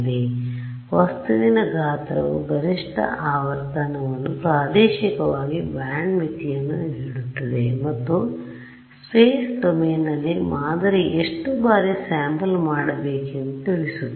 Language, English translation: Kannada, So, the size of the object gives you the maximum frequency the spatially band limit and that tells you how frequently I should sample this is sampling in the space domain